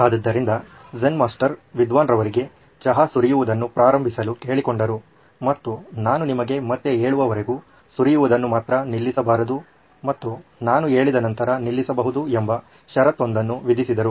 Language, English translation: Kannada, So the Zen Master asked the scholar to start pouring tea and with the only condition that you should stop pouring only when I ask you to, till then don’t stop pouring